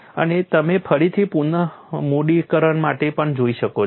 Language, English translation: Gujarati, And you can also look at for again recapitalization